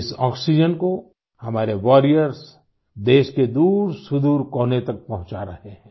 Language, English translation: Hindi, Our warriors are transporting this oxygen to farflung corners of the country